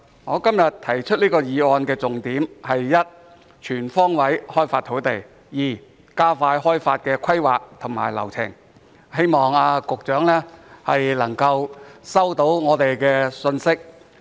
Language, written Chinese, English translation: Cantonese, 我今天提出這項議案的重點，第一是全方位開發土地，第二是加快開發的規劃和流程，希望局長可以收到我們的信息。, The focus of my motion today is firstly to increase land supply on all fronts and secondly to expedite the land development and planning procedures . I hope that the Secretary is able to receive our messages